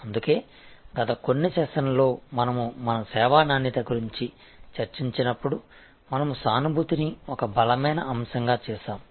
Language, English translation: Telugu, So, that is why, in the last few sessions, when we discussed our service quality, we made empathy such a strong point